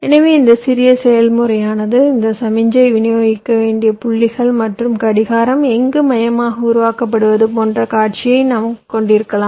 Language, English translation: Tamil, so we can have a scenario like where this small process are the points where i need to distribute this signal and may be the clock is generated somewhere centrally